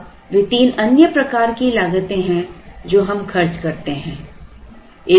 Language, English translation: Hindi, Now those are three other types of costs that we incur